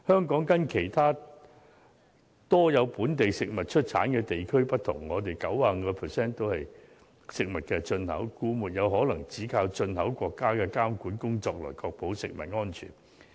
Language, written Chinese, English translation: Cantonese, 跟其他盛產本地食物的地區不同，香港有 95% 是進口食物，所以不可能只靠進口國家的監管工作來確保食物安全。, Unlike regions which can produce food locally Hong Kong imports 95 % of the food . With such a high proportion of imported food it is impossible to ensure food safety by solely relying on the inspection work of the countries of import